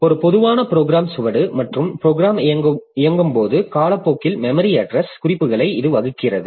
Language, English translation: Tamil, So, this particular plot, it is a typical program trace and it plots the memory address references over time as the program is executing